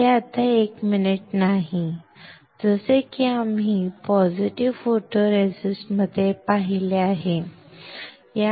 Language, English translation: Marathi, This is not anymore 1 minute like we have seen in positive photoresist, alright